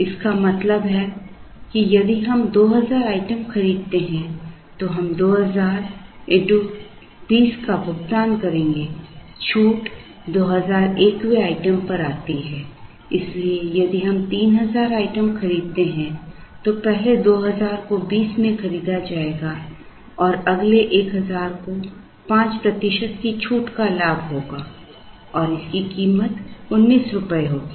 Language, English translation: Hindi, This means that, if we buy 2000 items then we will be paying 2000 into 20, the discount comes for the 2000 and 1st item onwards therefore, if we buy 3000 items the 1st 2,000 will be purchased at 20 and the next 1000 will avail or will get a 5 percent discount and will be priced at rupees 19